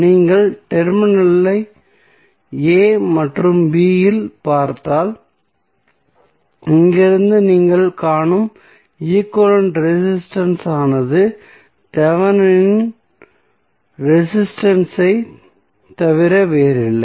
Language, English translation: Tamil, So, if you look from this side into the terminal a and b the equivalent resistance which you will see from here is nothing but the Thevenin resistance